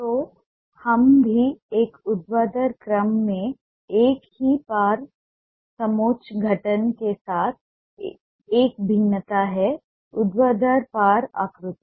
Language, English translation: Hindi, so let's also have a variation with the same cross contour formation in a vertical order, vertical cross contours